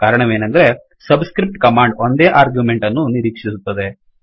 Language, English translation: Kannada, The reason is that the subscript command expects only one argument